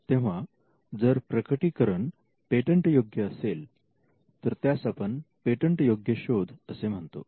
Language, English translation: Marathi, So, if the disclosure is patentable, that is what we call a patentable invention